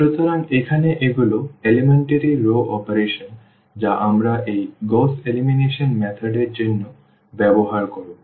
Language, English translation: Bengali, So, here these are the elementary row operations which we will be using for this Gauss elimination method